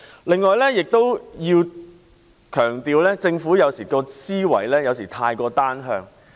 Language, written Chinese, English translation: Cantonese, 此外，我要強調政府的思維有時過於單向。, In addition I have to emphasize that the mindset of the Government is sometimes too unilateral